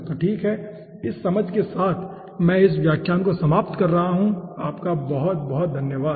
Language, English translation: Hindi, so okay, with this understanding i will be ending this lecture, thank you